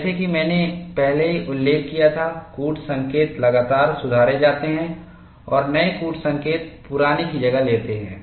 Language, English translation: Hindi, As I had already mentioned, the codes are continuously improved and new codes replace the old ones